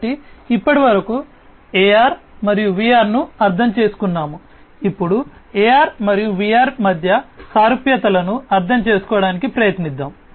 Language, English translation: Telugu, So, let us now having understood AR and VR so far, let us now try to understand the similarities between AR and VR